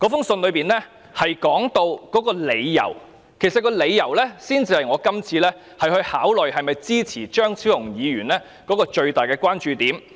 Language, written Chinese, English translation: Cantonese, 信中指出的理由，才是我今次考慮是否支持張超雄議員的議案的最大關注點。, The reasons stated in the letter are of my utmost concern in considering whether I should support Dr Fernando CHEUNGs motion